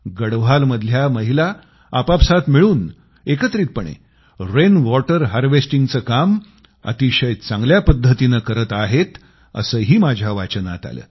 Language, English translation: Marathi, I have also read about those women of Garhwal, who are working together on the good work of implementing rainwater harvesting